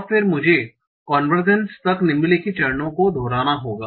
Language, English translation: Hindi, And I repeat that until convergence